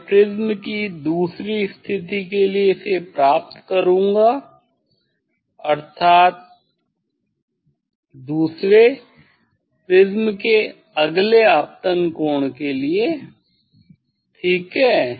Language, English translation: Hindi, I will get this for second position of the prism mean for second for next incident angle of the prism ok, I will take second observation